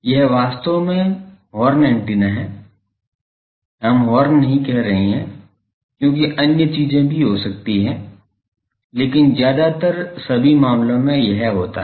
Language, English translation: Hindi, This is actually horn antenna, we are not saying horn because there can be other things also, but mostly in all the cases it is on